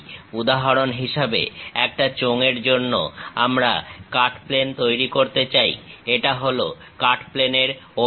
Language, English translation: Bengali, For example, for a cylinder we want to make a cut plane; this is the cut plane direction